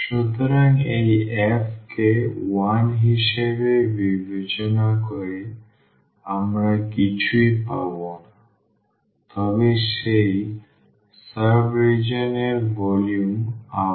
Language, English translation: Bengali, So, by considering this f as 1 we will get nothing, but the volume of that sub region again